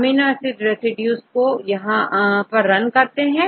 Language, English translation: Hindi, Run the amino acid residues here